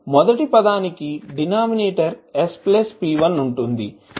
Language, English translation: Telugu, The first term has the denominator s plus p1